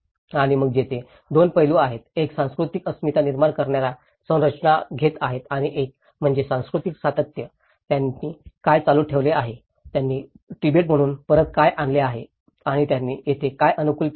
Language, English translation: Marathi, And then there are 2 aspects; one is taking the structures that create cultural identity and one is the cultural continuity, what they have continued, what they have brought back from Tibet and what they have adapted here